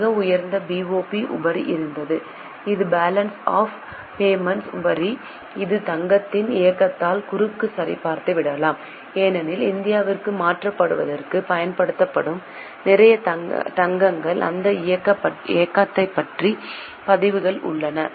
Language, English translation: Tamil, There was a very high BOP surplus, that is balance of payment surplus, which can be cross checked by the moment of gold because a lot of gold used to be transferred to India